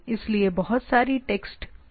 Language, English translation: Hindi, So, lot of text level things are there